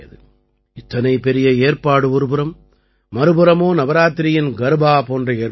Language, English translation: Tamil, Such elaborate arrangement and on the other hand, arrangements for Navratri Garba etc